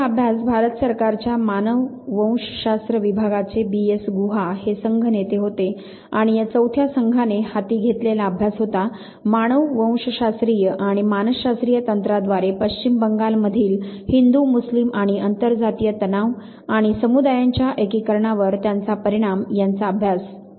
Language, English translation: Marathi, S Guha who was from the department of anthropology government of India, he was the leader of the team and this team the fourth team they took up the study of Hindu, Muslim and inter cast tension in West Bengal and they are bearing on the integration of communities by means of anthropological and psychological techniques